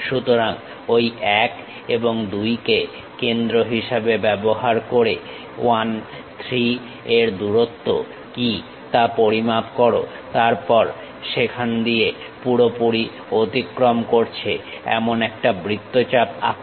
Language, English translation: Bengali, So, using those 1 and 2 as centers measure what is the length 1 3, then draw an arc all the way passing through there